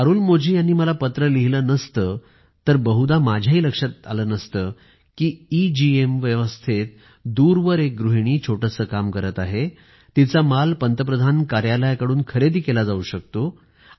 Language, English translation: Marathi, Had Arulmozhi not written to me I wouldn't have realised that because of EGEM, a housewife living far away and running a small business can have the items on her inventory purchased directly by the Prime Minister's Office